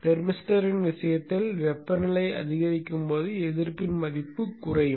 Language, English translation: Tamil, In the case the thermister as the temperature increases the value of the resistance will come down will decrease